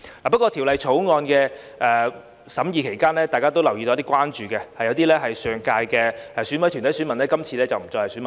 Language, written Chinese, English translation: Cantonese, 不過，在法案委員會審議期間，大家都留意到有一些關注，即有些上屆是選委團體選民，今次不再是選民。, However during the deliberation of the Bills Committee we have noted some concerns that some corporate voters of EC of the last term are no longer voters this time